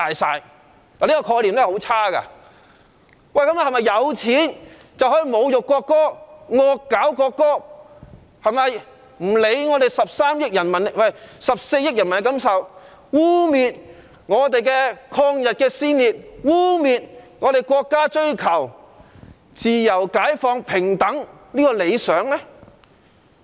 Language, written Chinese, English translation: Cantonese, 是否有錢，便可以侮辱國歌，"惡搞"國歌，不用理會14億人民的感受，污衊抗日先烈，污衊國家追求自由、解放、平等的理想？, Is it that if people are rich they can insult the national anthem spoof the national anthem disregard the feelings of 1.4 billion people vilify martyrs to the cause of resisting Japanese aggression and vilify our countrys pursuit of the ideals of freedom liberation and equality?